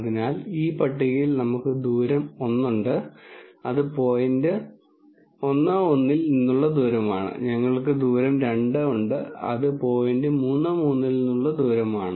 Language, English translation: Malayalam, So, in this table we have distance one, which is the distance from the point 1 1 and we have distance two, which is the distance from the point 3 3